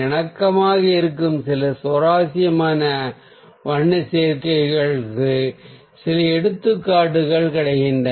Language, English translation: Tamil, so we got some examples of some interesting colour combinations which are in harmony